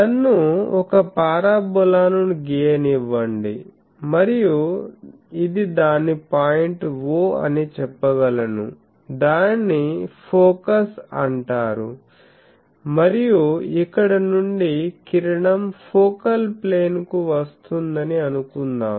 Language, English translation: Telugu, So, I can say that let me draw a parabola and this is its point, let us say the focus I am calling O and the suppose I have an incident ray from here that ray is coming to the focal plane